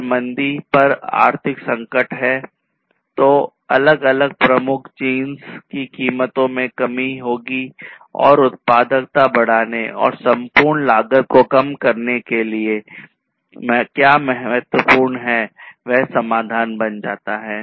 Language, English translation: Hindi, So, if there is economic crisis on recession then there will be reduction in prices of different major commodities and what is important is to increase the productivity and reduce the overall cost that becomes the solution in such a case